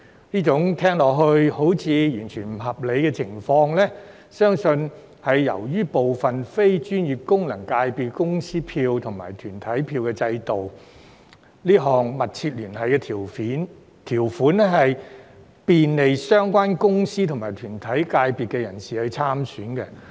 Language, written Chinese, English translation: Cantonese, 這種聽來似乎不合理的情況，相信是由於對部分非專業功能界別的公司票及團體票制度，這項"密切聯繫"條款可便利相關公司或團體界別人士參選。, This seemingly unreasonable situation exists probably because of the corporate votes system in some non - professional FCs . The substantial connection clause can facilitate the candidature of individuals of the designated companies or bodies